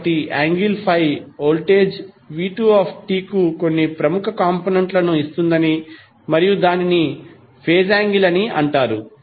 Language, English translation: Telugu, So, what we can say that the angle that is 5 is giving some leading edge to the voltage v2 and that is called our phase angle